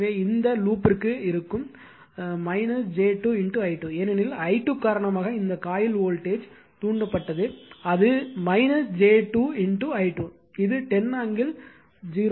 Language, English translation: Tamil, So, it will be for this loop it will be minus j 2 into your i 2 right, because in this coil voltage induced due to i 2, it will be minus j 2 into i 2 that is 10 angle 0 right